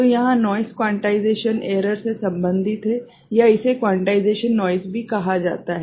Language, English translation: Hindi, So, noise here is related to quantization error or also it is called quantization noise ok